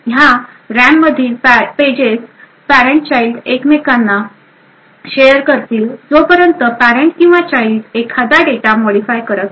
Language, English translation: Marathi, These pages in the RAM between the parent and the child continue to be shared until either the parent or the child modifies some particular data